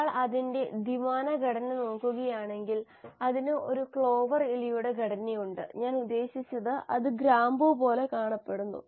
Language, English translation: Malayalam, If one were to look at its two dimensional structure, it has a clover leaf structure, I mean; it looks like the cloves